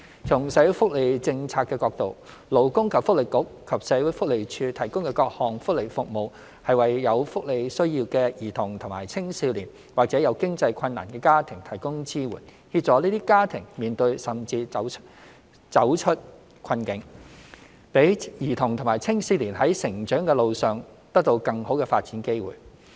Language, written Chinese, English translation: Cantonese, 從社會福利政策的角度，勞工及福利局和社會福利署提供的各項福利服務，是為有福利需要的兒童及青少年或者有經濟困難的家庭提供支援，協助這些家庭面對甚至走出困境，讓兒童及青少年在成長路上得到更好的發展機會。, From the perspective of social welfare policy the various welfare services provided by the Labour and Welfare Bureau and the Social Welfare Department SWD are government support to children and adolescents with welfare needs or families in financial difficulty . They are provided to assist those families in dealing with or even getting out of their difficulties so that the children and adolescents concerned can have more development opportunities on their path of growth